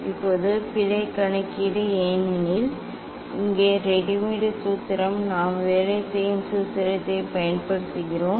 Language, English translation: Tamil, Now error calculation because here readymade formula we are using working formula